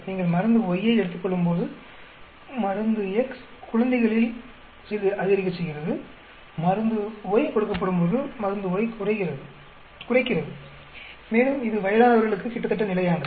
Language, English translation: Tamil, When you take drug Y, drug X is increasing little bit on the infant, it is lowering on drug Y when drug Y is given and it is almost constant on the aged people